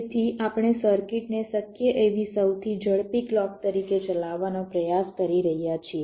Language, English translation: Gujarati, so we are trying to run a circuit as the fastest possible clock